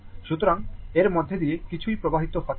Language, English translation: Bengali, So, nothing is flowing through this